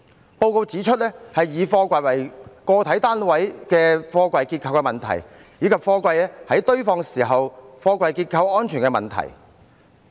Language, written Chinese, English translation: Cantonese, 該報告指出以貨櫃為個體單位的貨櫃結構的問題，以及貨櫃在堆放時貨櫃結構安全的問題。, The report pointed out the problems with the structural integrity of each container as a single unit and the structural integrity of the containers on stack